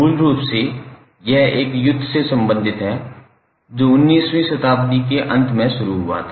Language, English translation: Hindi, Basically this is related to a war that happened in late 19th century